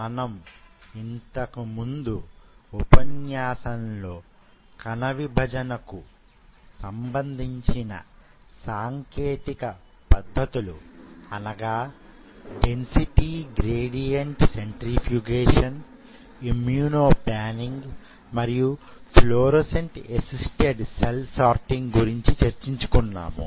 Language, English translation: Telugu, So, in the last class we summarize the 3 techniques of cell separation, where we talked about density gradients centrifugation, we talked about immuno panning and we talked about fluorescent assisted cell sorting